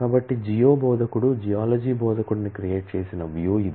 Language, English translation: Telugu, So, this is the view created the geo instructor the Geology instructor